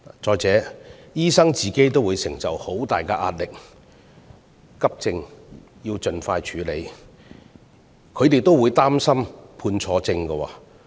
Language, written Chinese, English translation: Cantonese, 再者，醫生本身亦承受很大壓力，因為急症要盡快處理，他們會擔心判錯症。, Further doctors themselves are under a great deal of pressure . With the need to handle emergency cases expeditiously they are worried that they may make incorrect diagnoses